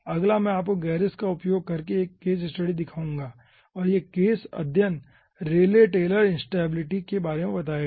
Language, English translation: Hindi, next let me show you 1 case study, ah, using gerris, and this case study will be ah, dealing about rayleigh taylor instability